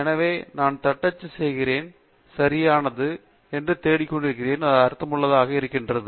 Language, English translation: Tamil, So, what I am typing, therefore, is right; what I am looking for, it makes sense